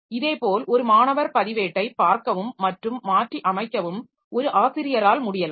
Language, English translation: Tamil, Similarly, a student record may be viewed by a teacher and is also modifiable by a teacher